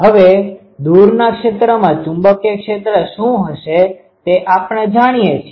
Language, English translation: Gujarati, Now in the far field, we know what will be the magnetic field